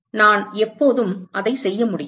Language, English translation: Tamil, I can always do that